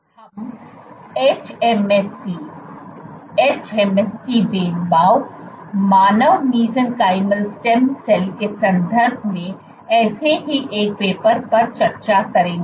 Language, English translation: Hindi, We will discuss one such paper in the context of hMSC, hMSC differentiation, human mesenchymal stem cell